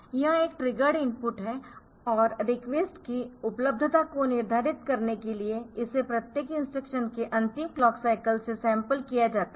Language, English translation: Hindi, So, this is a triggered input and it is sampled from the last clock cycles of each instruction to determine the availability of the request